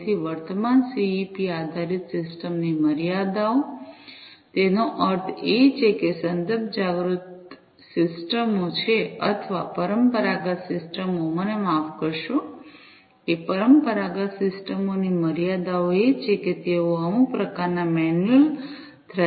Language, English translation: Gujarati, So, the limitations of the current CEP based systems; that means, the context aware systems is or the traditional systems I am sorry that limitations of the traditional systems are that they use some kind of manual thresholding